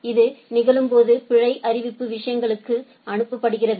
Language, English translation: Tamil, When this happens the error notification is sends to the things